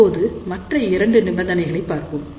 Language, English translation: Tamil, Now, what about this third condition